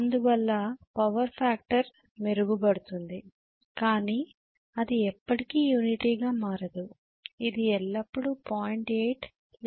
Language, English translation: Telugu, So because of which power factor improves but it can never become unity it will always become may be 0